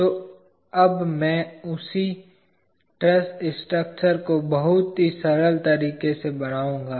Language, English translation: Hindi, So, now I would draw the same truss structure in a very simple way